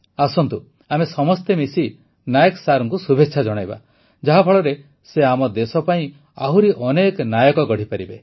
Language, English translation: Odia, Come, let us all wish Nayak Sir greater success for preparing more heroes for our country